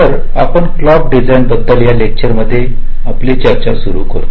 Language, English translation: Marathi, ok, so we start our discussion in this lecture about clock design